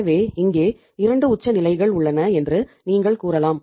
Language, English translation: Tamil, So means here also you can say that we have 2 extremes say